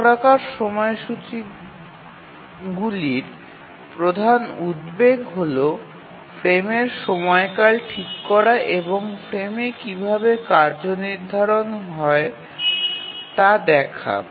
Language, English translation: Bengali, So, as far as the cyclic schedulers are concerned, one important question to answer is that how to fix the frame duration and how to assign tasks to the frames